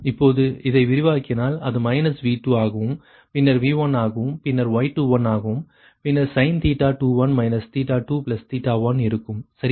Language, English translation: Tamil, if you expand this one, then it will be minus v two, then v one, then y two, one, then sin theta two